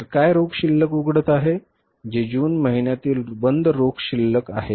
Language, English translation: Marathi, This is a closing cash balance for the month of June